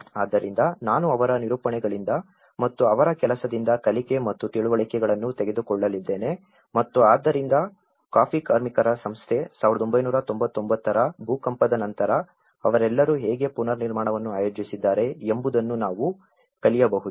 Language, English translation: Kannada, So, I am going to take the learnings and understandings from his narratives and from his work and so, that we can learn how the coffee workers society, how they all have organized the reconstruction after the earthquake of 1999